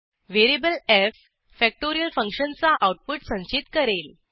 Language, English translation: Marathi, Variable f stores the output of factorial function